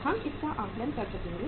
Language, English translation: Hindi, We will be able to assess it